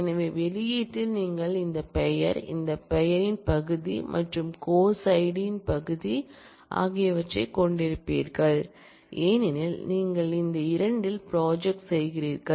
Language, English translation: Tamil, So, in the output you will have this name, this name part and this course id part because, you are projecting on these 2